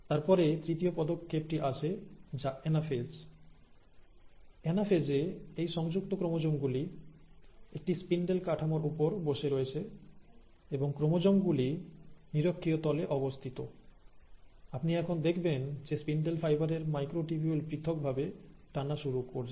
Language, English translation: Bengali, Now it is at the anaphase that these attached chromosomes, which are sitting on a spindle network and you have the chromosomes sitting at the equatorial plane, that you now start seeing that this, the microtubules of the spindle fibres start pulling apart